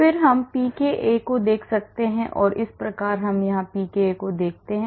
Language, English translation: Hindi, again we can look at pka and thus we can look at pka here